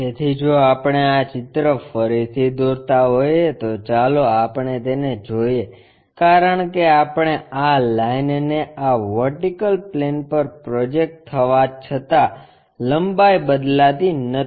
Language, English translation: Gujarati, So, if we are drawing this picture again let us look at it because this length is not changing even if we are projecting this line onto this vertical plane